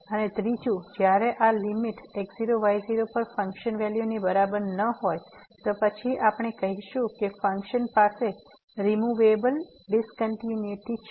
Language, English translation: Gujarati, And the third one when this limit is not equal to the function value at naught naught, then we call that the function has removable discontinuity